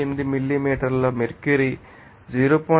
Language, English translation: Telugu, 8 millimeter mercury into 0